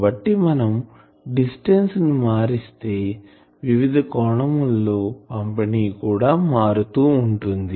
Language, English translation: Telugu, So, as you change the distance the angular distribution is getting changed